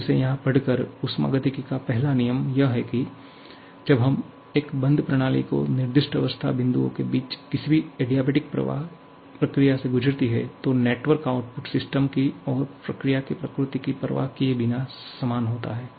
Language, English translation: Hindi, Just read it out here, the first law of thermodynamics is that when a closed system undergoes any adiabatic process between two specified state points, the network output is the same regardless of the nature of the system and the process